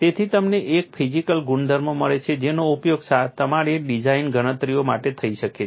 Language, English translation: Gujarati, So, that you get a material property which could be use for all your design calculations